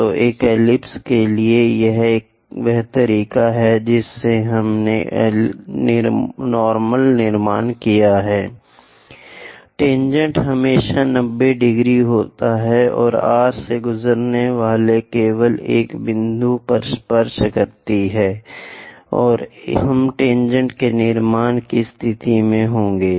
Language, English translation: Hindi, So, to an ellipse, this is the way we constructed normal; tangent always be 90 degrees and touch at only one point passing through R, and we will be in a position to construct tangent